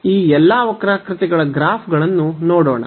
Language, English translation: Kannada, So, let us look at the graphs of all these curves